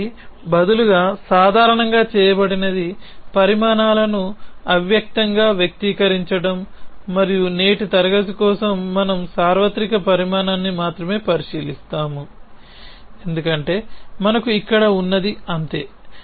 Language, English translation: Telugu, So, instead what is normally done is to express the quantifies implicitly and for today’s class we will only look at the universal quantify because that is all we have here